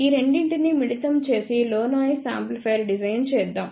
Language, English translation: Telugu, Let us combine these two and then design low noise amplifier